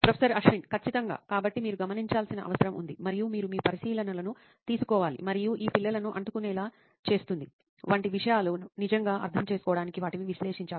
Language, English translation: Telugu, Absolutely, so you need to observe and you got to take your observations and got to analyse them to really understand things like what makes these kids stick